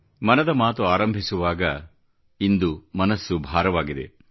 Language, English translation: Kannada, I begin 'Mann Ki Baat' today with a heavy heart